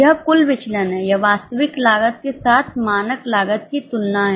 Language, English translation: Hindi, It is a comparison of standard cost with actual cost